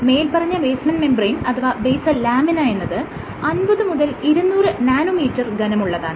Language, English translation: Malayalam, The basement membrane or the basal lamina, it is hardly 50 to 200 nanometers in thickness